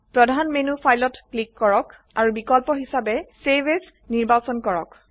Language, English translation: Assamese, Click on File in the Main menu and choose the Save as option